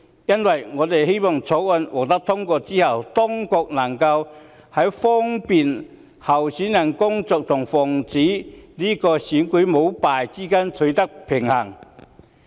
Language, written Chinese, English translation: Cantonese, 因此，我們希望在《條例草案》獲得通過後，當局能在利便候選人工作和防止選舉舞弊之間取得平衡。, Therefore we hope that the authorities can upon passage of the Bill strike a balance between facilitating candidates work and preventing corrupt conduct in elections